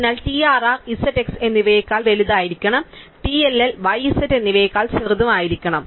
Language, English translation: Malayalam, So, TRR must be bigger than z and x, TLL must be smaller than y and z and so on